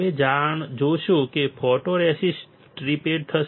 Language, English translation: Gujarati, You will see that the photoresist will be stripped off